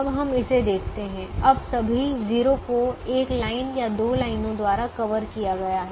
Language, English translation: Hindi, now all the zeros are covered either by one line or two lines